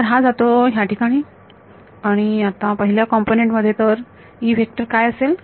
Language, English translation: Marathi, So, this goes into the first component now what are the vector E